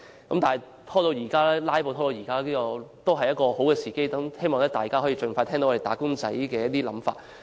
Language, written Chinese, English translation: Cantonese, 縱使議案因為"拉布"拖延了1年，但現時仍屬好時機，希望政府可以盡快聽到"打工仔"的想法。, Although the motion has been delayed for a year owing to filibustering now it is still a good time . I hope the Government can hear wage earners views as early as possible